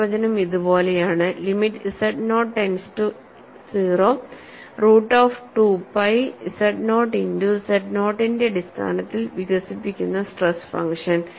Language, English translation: Malayalam, The definition is like this, limit z naught tends to 0 root of 2 pi z naught multiplied by the stress function expressed in terms of z naught